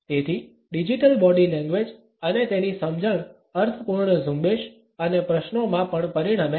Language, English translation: Gujarati, So, digital body language and its understanding results in meaningful campaigns and questions also